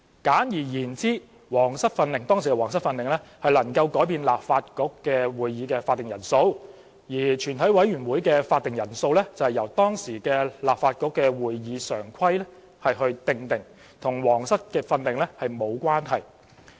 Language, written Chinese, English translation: Cantonese, 簡而言之，《皇室訓令》能更改立法局會議的法定人數，全委會的會議法定人數則由當時立法局的《會議常規》訂定，與《皇室訓令》沒有關係。, Simply put the Royal Instructions could change the quorum of the meeting of the Legislative Council but the quorum of a committee of the whole Council was stipulated in the then Standing Orders of the Legislative Council and not related to the Royal Instructions